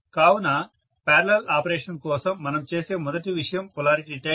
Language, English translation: Telugu, So the first thing we do for parallel operation is to do polarity test